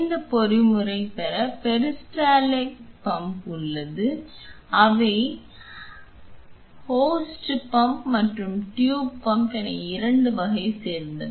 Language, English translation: Tamil, In order to have this mechanism we have something called as peristaltic pump and they are of 2 type that is the host pump and the tube pump